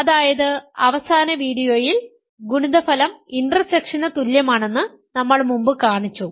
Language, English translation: Malayalam, We have shown that earlier in the last video, we showed the product is equal to the intersection